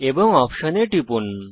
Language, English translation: Bengali, And Click on the option